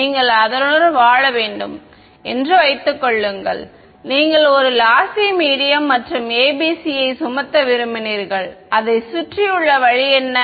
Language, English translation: Tamil, Supposing you had to live with it you had a lossy medium and you wanted to impose ABC what was the way around it